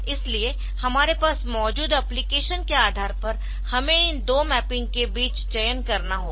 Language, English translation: Hindi, So, depending upon the application that we have, so we have to choose between these two mappings